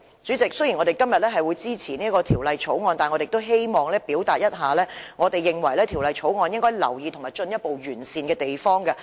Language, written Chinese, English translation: Cantonese, 主席，雖然公民黨今天會支持《條例草案》，但我也希望指出我們認為《條例草案》中應予留意和進一步完善的地方。, President while the Civic Party will support the Bill today I would still like to point out the parts of the Bill that we think warrant attention and should be further improved